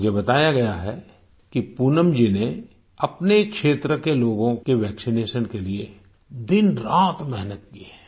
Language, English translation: Hindi, I am given to understand that Poonam ji has persevered day and night for the vaccination of people in her area